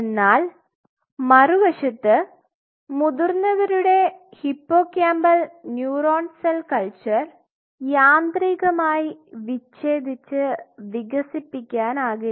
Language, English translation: Malayalam, On the other hand if you want to develop an adult cell culture of adult hippocampal neuron culture you cannot do so by mechanically